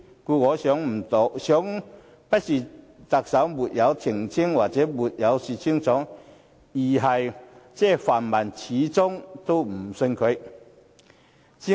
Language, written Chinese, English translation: Cantonese, 故此，我認為不是特首沒有澄清或沒有說清楚，而是泛民始終不肯相信他。, For the above reasons I think it is not that the Chief Executive has not clarified or clearly explained the matter but that the pan - democrats refuse to believe whatever he said